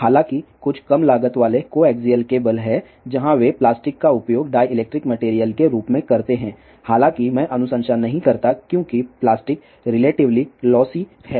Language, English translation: Hindi, 1 ; however, there are some low cost coaxial cable where they use plastic as this dielectric material ; however, I do not recommend that because plastic is relatively lossy